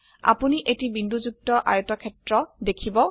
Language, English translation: Assamese, You will see a dotted rectangle